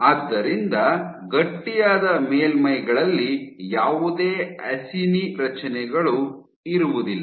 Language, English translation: Kannada, So, on the stiff surfaces, acini structures fell apart